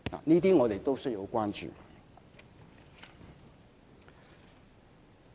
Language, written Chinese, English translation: Cantonese, 這些我們都要關注。, These are things that we need to consider